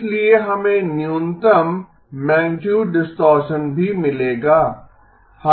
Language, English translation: Hindi, Therefore, we would get a minimum magnitude distortion as well